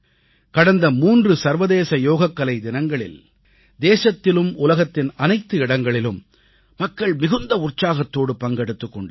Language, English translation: Tamil, On the previous three International Yoga Days, people in our country and people all over the world participated with great zeal and enthusiasm